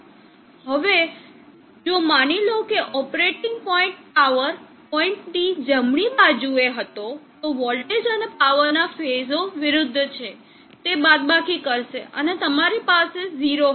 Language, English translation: Gujarati, Now if suppose the operating point was on the right side of the peak power point the phases of the voltage and power are opposite they will subtract and you will have 0